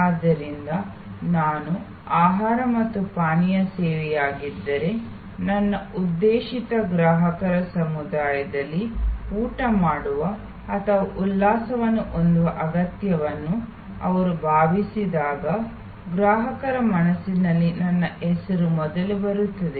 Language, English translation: Kannada, So, if I am a food and beverage service, after ensure that in my targeted community of customers, my name comes up first in the consumer's mind when they feel the need of eating out or having a refreshment